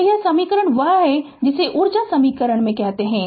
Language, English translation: Hindi, So, this equation is what you call that in a energy equation right